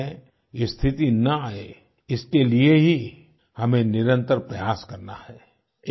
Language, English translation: Hindi, In order to ensure that India does not have to face such a situation, we have to keep trying ceaselessly